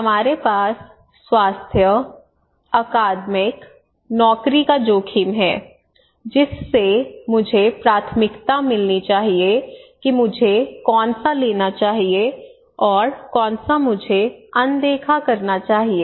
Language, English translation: Hindi, Okay, we have a health risk, we have academic risk, we have job risk so which one I should prioritise, which one I should take and which one I should ignore